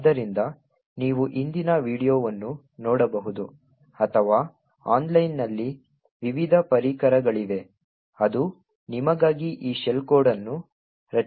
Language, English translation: Kannada, So, you could look at the previous video or there are various tools online which would create these shell code for you